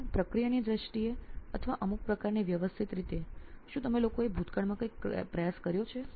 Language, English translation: Gujarati, So in terms of process or in terms of some kinds of systematic way, have you guys attempted something in the past